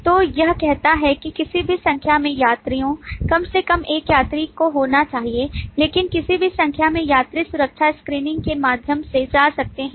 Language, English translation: Hindi, So it says that any number of passengers, at least one passenger has to be there, but any number of passengers can go through security screening